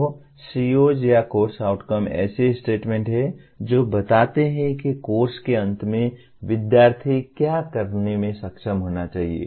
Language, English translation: Hindi, So COs or course outcomes are statements that describe what student should be able to do at the end of a course